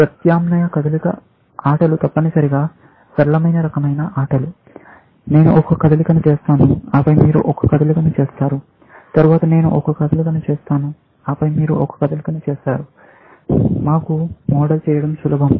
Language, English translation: Telugu, Alternate move games are essentially, the simpler kind of games in which, I make a move and then, you make a move, then, I make a move and then, you make a move, which are easier to model for us, essentially